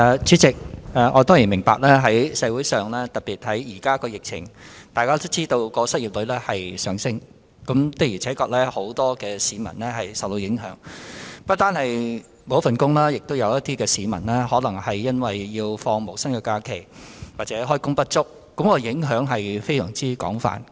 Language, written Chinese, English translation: Cantonese, 主席，我當然明白在現時的疫情下，失業率會不斷上升，的確有很多市民受到影響，不單有市民失去工作，亦有部分市民可能要放無薪假期或開工不足，影響非常廣泛。, President I certainly understand that under the current epidemic the unemployment rate will continue to rise . Many members of the public have indeed been affected; some people have lost their jobs while others may have to take no - pay leave or have become underemployed . The impact is widespread